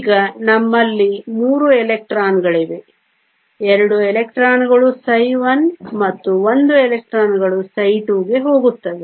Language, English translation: Kannada, Now we have 3 electrons, 2 electrons will go to psi 1 and 1 electron will go to psi 2